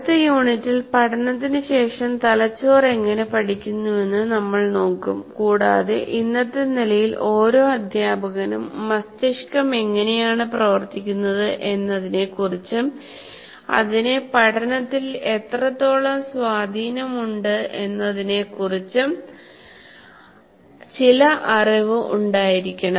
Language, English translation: Malayalam, In the next unit we will look at how brains learn because every teacher after learning takes place in the brain and every teacher should have some knowledge of how the how the brain functions at least at the level now at our present level of understanding